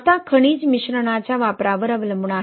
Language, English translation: Marathi, Now, depending on the use of mineral admixtures